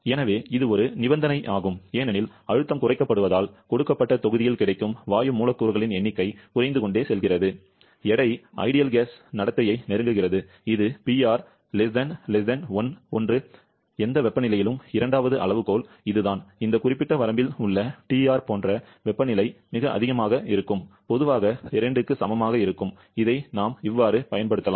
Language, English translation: Tamil, So, this is a condition that I have summarised as a pressure keeps on reducing that is the number of gas molecules available in a given volume; given volume keeps on reducing, the weight approaches ideal gas behaviour which is the criterion that we have identified where PR is much, much <1 for any temperature, the second criterion is this where the temperature is very high like it is in this particular range TR, generally greater equal to 2, we can use this